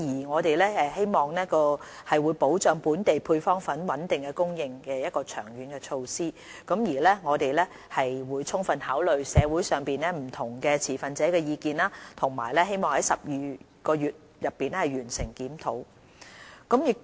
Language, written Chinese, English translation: Cantonese, 我們希望研究保障本地配方粉穩定供應的長遠措施，過程中將充分考慮社會上不同持份者的意見，期望於12個月內完成檢討。, We will conduct a review of this issue with no preconditions and hope to explore long - term measures to safeguard the stability of local supply of powdered formulae . In the course of the review which we expect to conclude in 12 months the views of different stakeholders in society will be taken fully into account